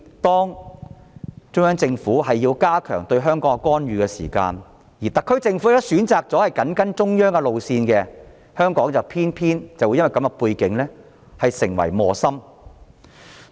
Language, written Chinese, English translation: Cantonese, 當中央政府加強對香港的干預，而特區政府選擇緊跟中央路線時，香港便會因這種背景而成為磨心。, When the Central Government has strengthened its intervention in Hong Kong and the SAR Government has chosen to follow the path of the Central Authorities Hong Kong has been caught in the middle